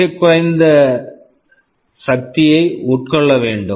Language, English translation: Tamil, They need to consume very low power